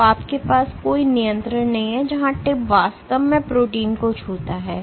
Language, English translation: Hindi, So, you have no control where the tip actually touches the protein